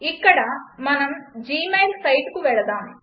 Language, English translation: Telugu, Lets go to gmail site here